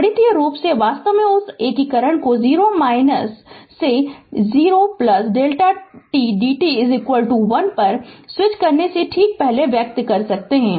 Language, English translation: Hindi, Mathematically, actually we can express this that your integration just before switching that is 0 minus to 0 plus delta t d t is equal to 1